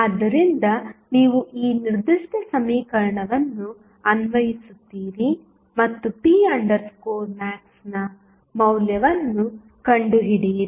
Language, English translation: Kannada, So, you apply this particular equation and find out the value of p max